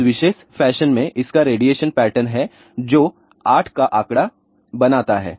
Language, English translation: Hindi, It has a radiation pattern in this particular fashion which makes a figure of 8